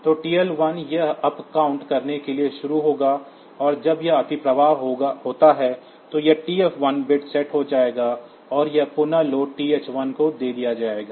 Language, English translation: Hindi, So, TL1 it will be starting to upcount and when that overflow occurs, then this TF1 bit will be set and this reload will also be given to TH 1